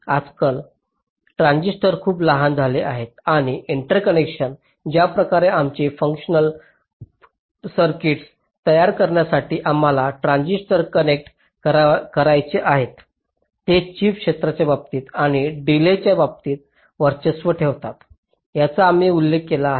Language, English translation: Marathi, nowadays, the transistors have become very small and the interconnections the way we want to connect the transistors to build our functional circuits they tend to dominate in terms of the chip area and also in terms of the delay